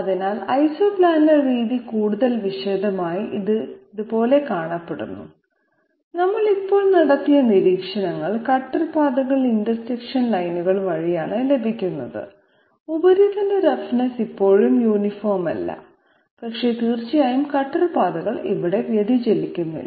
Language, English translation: Malayalam, So Isoplanar method in more detail, it looks like this and the observations that we have made just now, cutter paths are obtained by intersection lines and the surface roughness is still not uniform, but of course the cutter paths are not diverging here